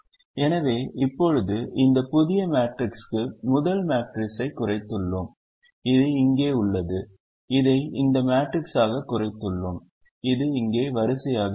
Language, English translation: Tamil, so we have now reduced the first matrix to this new matrix which is here